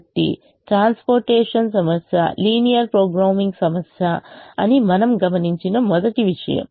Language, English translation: Telugu, but we have also seen that this transportation problem is a linear programming problem